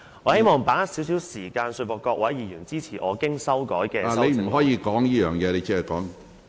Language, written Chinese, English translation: Cantonese, 我希望把握現在少許時間，說服各位議員支持我經修改的修正案。, I would like to seize the time I have to solicit support from fellow Members for my revised amendment